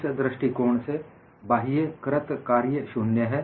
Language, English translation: Hindi, In view of this, external work done is 0